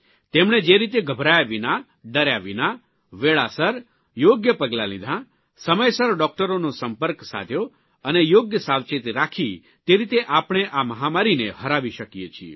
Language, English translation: Gujarati, As he mentioned, without panicking, following the right steps on time, contacting doctors on time without getting afraid and by taking proper precautions, we can defeat this pandemic